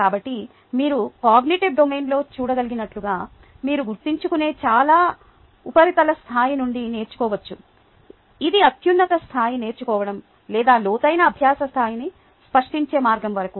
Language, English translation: Telugu, so, as you can see, in the cognitive domain you can go from the very [sa/superficial] superficial level of learning, which is remembering, all the way up to create, which is the highest level of learning or the deepest level of learning